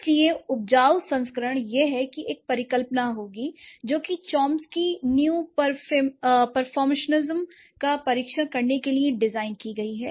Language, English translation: Hindi, So, the generative version would be this is a hypothesis which is designed in part to test the Chomsky, a neo pre formationism, right